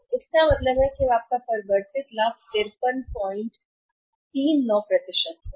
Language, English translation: Hindi, So, it means what is now the changed profit that is 53